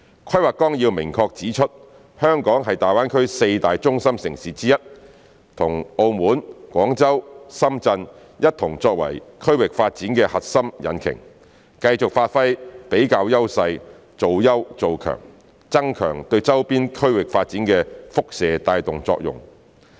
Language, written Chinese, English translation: Cantonese, 《規劃綱要》明確指出，香港是大灣區四大中心城市之一，與澳門、廣州、深圳一同作為區域發展的核心引擎，繼續發揮比較優勢做優做強，增強對周邊區域發展的輻射帶動作用。, The Outline Development Plan clearly states that Hong Kong is one of the four core cities in GBA acting together with Macao Guangzhou and Shenzhen as core engines for regional development . Hong Kong should continue to leverage the comparative advantages in striving for excellence and achievements and strengthen the radiating effect in leading the development of nearby regions